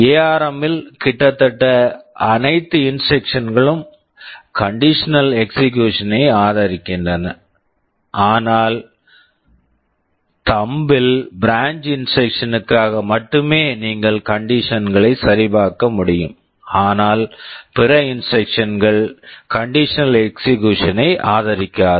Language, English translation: Tamil, In ARM almost all the instructions support condition execution, but in Thumb only for branch instruction you can check for conditions, but other instruction do not support conditional execution